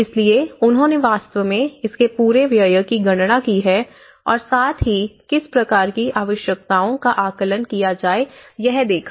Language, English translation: Hindi, So, they have actually calculated the whole expenditure of it and as well as what kind of requirement and needs assessment has been done